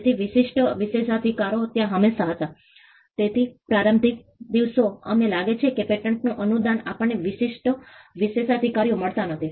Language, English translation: Gujarati, So, exclusive privileges were there at all times, so the so the in the early days we find we do not find pattern grants we find exclusive privileges